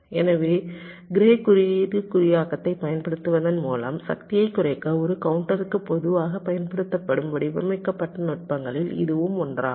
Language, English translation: Tamil, so this is one of the very commonly used designed technique for a counter to reduce power by using grey code encoding